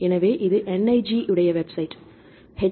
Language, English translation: Tamil, So, this is the website https://www